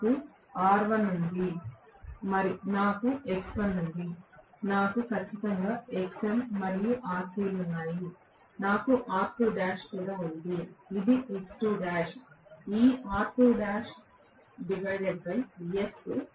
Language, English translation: Telugu, I have R1 I have X1, I do have definitely Xm and Rc, I have R2 dash this is X2 dash, this R2 dash by S, Right